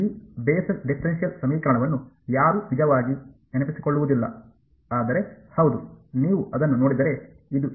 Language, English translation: Kannada, This Bessel differential equation no one will actually remember, but yeah I mean if you look it up this is what it is